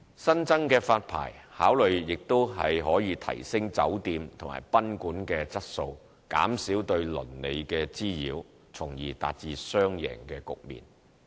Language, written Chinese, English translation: Cantonese, 新增的發牌考慮亦可以提升酒店及賓館的質素，減少對鄰里的滋擾，從而達至雙贏局面。, The new licensing considerations can also help enhance the quality of hotels and guesthouses and minimize the nuisance caused to nearby residents and thereby achieving a win - win situation